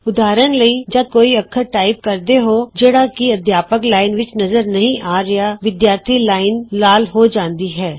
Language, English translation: Punjabi, For example, when you type a character that is not displayed in the Teachers Line, the Student line turns red